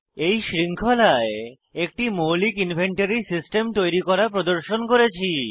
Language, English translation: Bengali, In this series, we have demonstrated how to create a basic inventory system